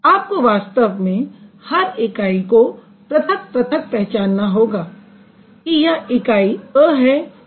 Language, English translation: Hindi, So, you should actually be able to distinctively identify, okay, this is a unit, this is a unit B